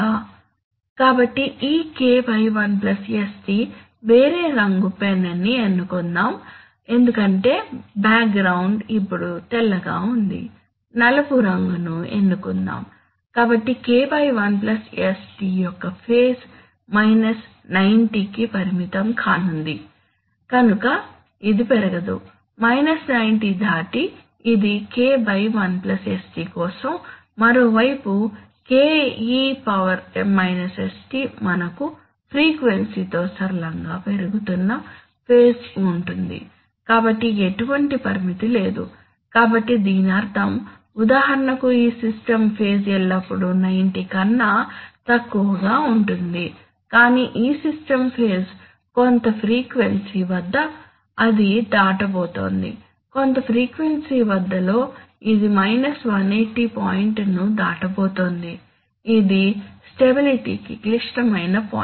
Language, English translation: Telugu, So this K by 1 plus sτ, let me choose a different color pain because the background is now white, let me choose black, so the phase of K by 1 plus sτ, is going to be limited to 90, so it cannot increase beyond 90, this is for K by 1 plus sτ, on the other hand ke sτ we will have a phase which is increasing linearly with frequency, so there is no bound, so this means, so for example this system phase will is always less than 90 but this system phase will, is, at some frequency it is going to cross, at some frequency it is going to cross the 180 point which is the critical point for stability